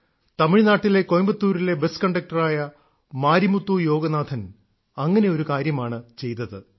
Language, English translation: Malayalam, For example, there isMarimuthuYoganathan who works as a bus conductor in Coimbatore, Tamil Nadu